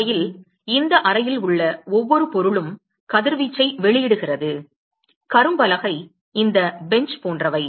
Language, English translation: Tamil, In fact, every object in this room is a is emitting radiation: blackboard, this bench, etcetera